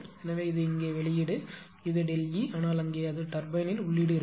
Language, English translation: Tamil, So, this is here it is output here it is delta E, but there it will be input to the turbine